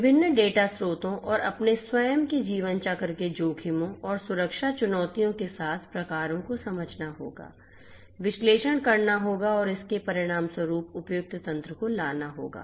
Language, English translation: Hindi, Different data sources and types with their own lifecycle risks and security challenges will have to be understood, will have to be analyzed and suitable mechanisms consequently will have to be brought in place